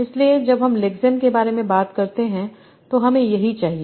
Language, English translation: Hindi, So when I talk about lexene, that's what I need